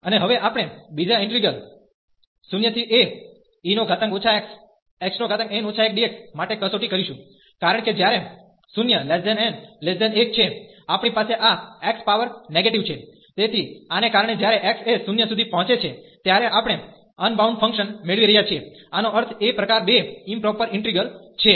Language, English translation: Gujarati, And now we will test for the second integer, because when n is between 0 and 1, we have this x power negative, so because of this when x approaches into 0, we are getting the unbounded function meaning this is a type 2 improper integral